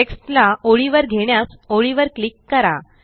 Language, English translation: Marathi, To move the text above the line, click on the line